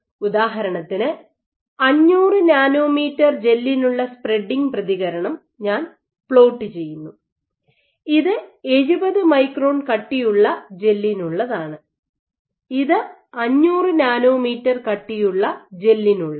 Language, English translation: Malayalam, So, for example, if I plot the spreading response for the 500 nanometer gel what you will observe, this is for 70 microns thick gel this is for 500 nanometer thick gel